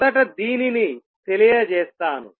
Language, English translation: Telugu, So, let me state this first